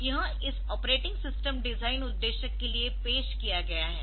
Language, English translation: Hindi, So, this has been introduced for this operating system design purpose